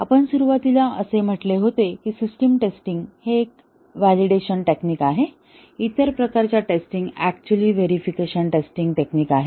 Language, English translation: Marathi, We had at the beginning said that system testing is a validation technique; the other types of testing are actually verification techniques